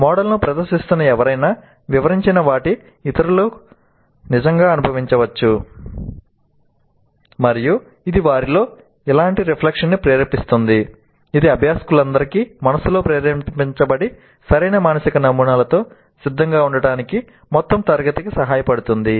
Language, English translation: Telugu, Others can actually experience what someone who is presenting the model describes and it stimulates similar recollection in them which helps the entire class to be ready with proper requisite mental models invoked in the minds of all the learners